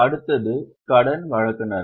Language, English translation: Tamil, Next one is creditors